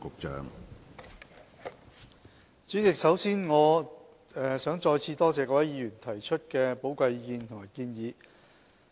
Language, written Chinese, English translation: Cantonese, 主席，首先，我想再次多謝各位議員提出的寶貴意見和建議。, President first of all I would like to thank Members once again for their valuable comments and suggestions